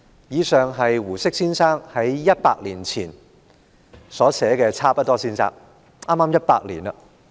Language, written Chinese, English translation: Cantonese, 以上是胡適先生100年前在《差不多先生傳》所寫的，距今剛好100年。, That is an extract from the Life of Mr Chabuduo written by Mr HU Shi 100 years―exactly 100 years―ago